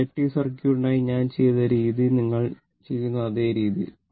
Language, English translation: Malayalam, The way I have done for inductive circuit, same way you do it